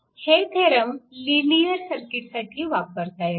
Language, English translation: Marathi, So, these theorems are applicable to linear circuit